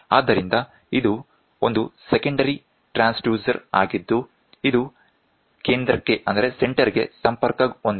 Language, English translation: Kannada, So, this is a secondary transducer which is connected to the center